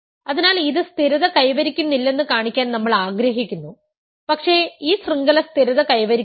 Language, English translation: Malayalam, So, we want to show that it does not stabilize, but this chain does not stabilize